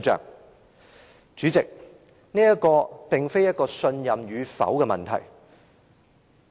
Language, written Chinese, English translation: Cantonese, 代理主席，這並非信任與否的問題。, Deputy Chairman this is not a question of whether there is trust or otherwise